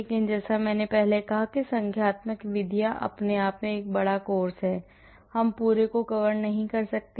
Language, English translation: Hindi, But as I said numerical methods is a big course of its own, I cannot cover the entire